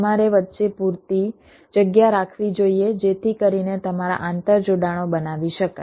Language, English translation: Gujarati, you should keep sufficient space in between so that you will interconnections can be made